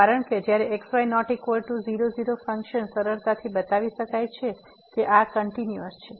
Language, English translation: Gujarati, Because, when is not equal to , the function can be easily shown that this is continuous